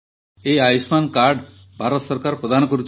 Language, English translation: Odia, This Ayushman card, Government of India gives this card